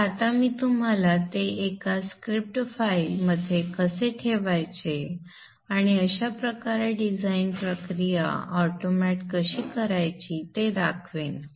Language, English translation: Marathi, So I will now show you how to put them into a script file and thus automate the design process